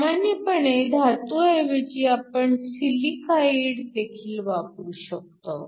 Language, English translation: Marathi, Usually, instead of using metals we can also silicides